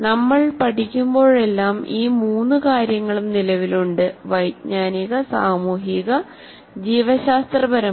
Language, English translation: Malayalam, So whenever we are learning, there are all the three dimensions exist, cognitive, social and biological